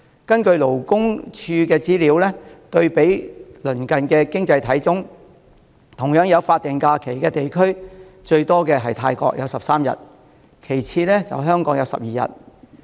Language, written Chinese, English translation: Cantonese, 根據勞工處的資料，對比鄰近的經濟體中，同樣有法定假日的地區，最多的是有13天的泰國，其次是有12天的香港。, Labour Day was designated . According to the information of the Labour Department when compared with our neigbouring economies which similarly have statutory holidays Thailand has 13 days of holiday which tops the list; Hong Kong comes second with 12 days